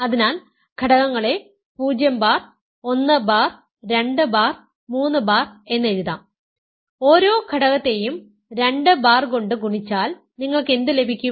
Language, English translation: Malayalam, So, the elements can be written as 0 bar, 1 bar, 2 bar, 3 bar; if you multiply each element by 2 bar, what you get